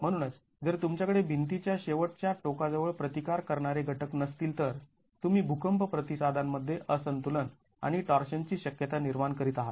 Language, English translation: Marathi, So, if you don't have resisting elements close to the end of the wall, you are creating a discontinuity and possibilities of torsion in the earthquake response